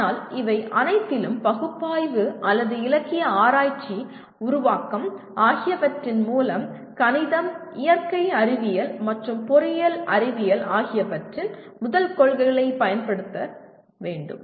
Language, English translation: Tamil, But in all these through the analysis or researching the literature, formulation, you have to be always using first principles of mathematics, natural sciences, and engineering sciences